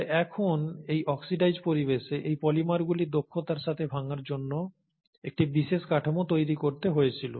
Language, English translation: Bengali, But now in this oxidized environment, there had to be a specialized structure possible to efficiently do breakdown of these polymers